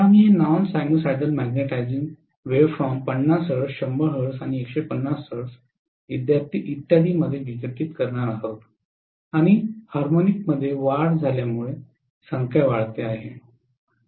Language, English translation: Marathi, So we are going to have this non sinusoidal magnetizing waveform being decomposed into 50 hertz, 100 hertz, 150 hertz and so on and as the harmonic increases the number increases